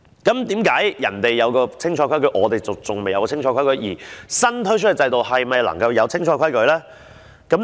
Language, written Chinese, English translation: Cantonese, 為何人家有清楚的規矩，我們還未有，而新推出的制度又是否能夠有清楚的規矩呢？, Why others have laid down unequivocal rules but we have not . Will unequivocal rules be set down under the new regime?